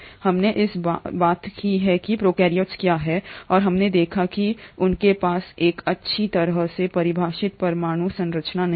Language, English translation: Hindi, We have talked about what is, what are prokaryotes, and we have seen that they do not have a well defined nuclear structure